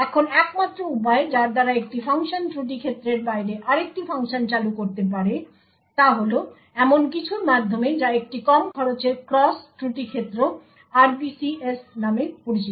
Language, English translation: Bengali, Now the only way by which a function can invoke another function outside the fault domain is through something known as a low cost cross fault domain RPCs